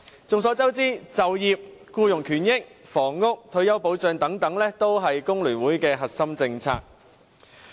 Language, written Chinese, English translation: Cantonese, 眾所周知，就業、僱員權益、房屋、退休保障等都是香港工會聯合會的核心政策。, Everybody knows that employment employees rights and interests housing and retirement protection are the core policies of concern to the Hong Kong Federation of Trade Unions FTU